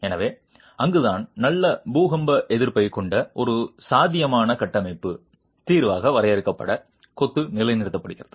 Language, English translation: Tamil, So, that is where confined masonry is positioned as a viable structural solution with good earthquake resistance